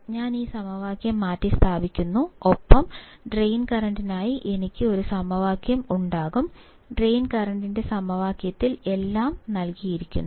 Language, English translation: Malayalam, I substitute this equation and I will have a equation for drain current; in the equation of the drain current everything is given